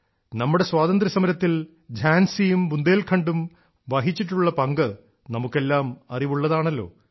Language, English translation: Malayalam, All of us know of the huge contribution of Jhansi and Bundelkhand in our Fight for Freedom